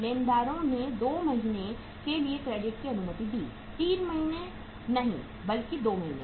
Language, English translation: Hindi, Creditors allow the credit for 2 months, not 3 months but 2 months